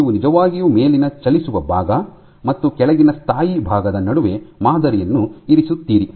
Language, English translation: Kannada, So, you actually position the sample between the top moving part and the bottom stationary part